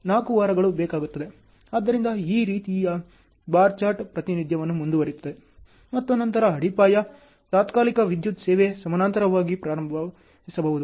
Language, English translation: Kannada, So, like this the bar chart representation goes on, and then foundation, temporary electric service can start in parallel